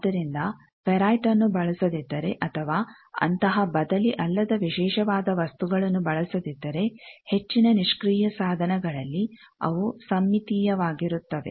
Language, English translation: Kannada, So, if ferrite is not used or other such non reciprocal special materials not used, in most of the passive devices they are symmetric or their reciprocal network